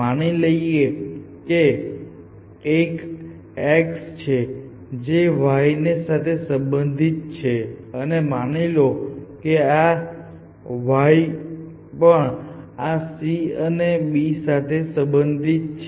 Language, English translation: Gujarati, Now, for example, if there was a y here which was related to x and let us say this y also connected to this c and b essentially